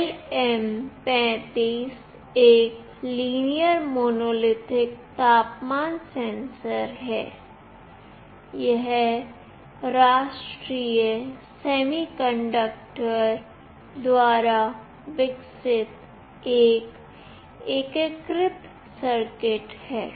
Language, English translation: Hindi, LM35 is a linear monolithic temperature sensor, this is an integrated circuit developed by National Semiconductor